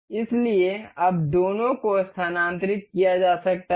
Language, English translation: Hindi, So, now both both of them can be moved